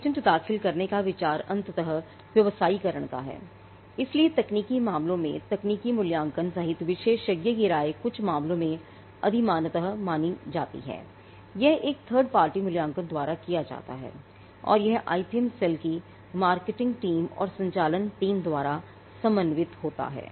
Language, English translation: Hindi, The idea of filing a patent is to eventually commercialize so an expert opinion including a techno commercial evaluation is sought in some cases preferably, this is done by a third party evaluation and it is co ordinate by the marketing team and the operations team of the IPM cell